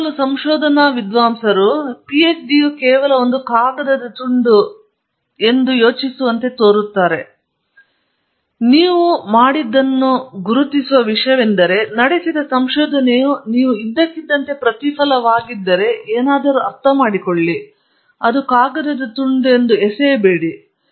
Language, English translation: Kannada, Very often research scholars seem to think the reward comes later, that PhD is only a piece of paper, it is something that recognizes what you have done, but more than that if the research doing the research itself is the reward that’s when you are suddenly understand something then I think you have